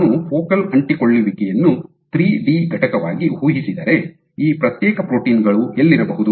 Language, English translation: Kannada, So, if I were to imagine the focal adhesion as a 3D entity, where are each of these proteins present